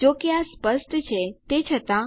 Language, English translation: Gujarati, Even though this is obvious